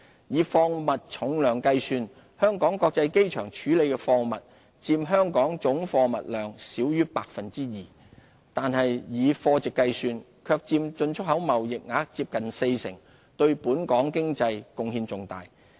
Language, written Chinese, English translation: Cantonese, 以貨物重量計算，香港國際機場處理的貨物佔香港總貨物量少於 2%， 但以貨值計算，卻佔進出口貿易額接近四成，對本港經濟貢獻重大。, The cargo handled by HKIA accounts for less than 2 % of our total cargo volume by weight but makes up nearly 40 % of our exports and imports by value contributing significantly to our economy